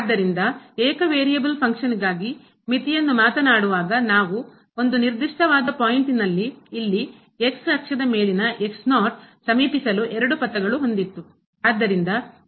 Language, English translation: Kannada, So, while talking the limit for a function of single variable, we had two paths to approach a particular point here on axis like in this case